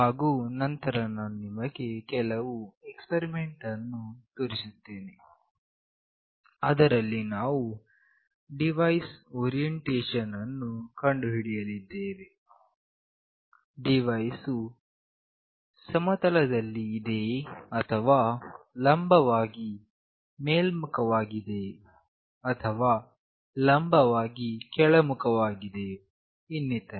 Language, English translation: Kannada, And then I will show you some experiment where the orientation of the device we will find out, whether the device is lying flat or it is vertically up or it is vertically down etc